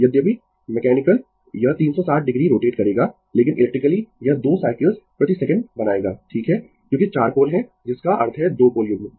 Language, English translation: Hindi, Although mechanical, it will rotate 360 degree, but electrically it will make 2 cycles per second right because you have four pole that mean 2 pole pair